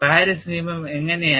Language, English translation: Malayalam, How was Paris law